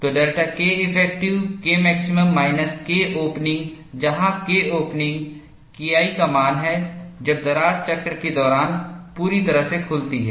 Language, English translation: Hindi, So, delta K effective is K max minus K opening, where K op is the value of K 1, when the crack opens completely during the cycle